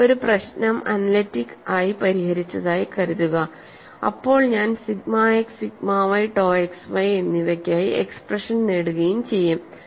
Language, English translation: Malayalam, Suppose I solve a problem analytically, then I would get expression for sigma x, sigma y as well as tau x y